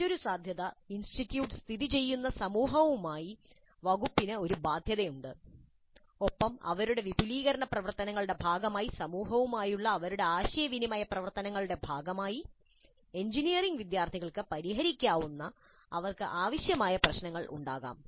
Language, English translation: Malayalam, Yet another possibility is that the department has an engagement with the community around which the institute is located and as a part of their activities of interaction with the community, as a part of their extension activities, they may come up with problems which need to be solved by the engineering students